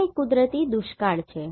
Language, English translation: Gujarati, The next natural has is Drought